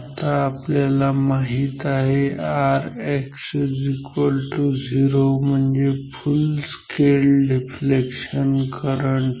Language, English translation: Marathi, Now, we know that R X equal to 0 corresponds to the full scale deflection current